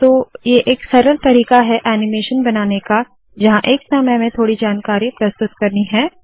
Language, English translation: Hindi, So this is one easy way to create animation where you want to present information a little at a time